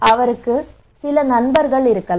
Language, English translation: Tamil, This person he may have also some friend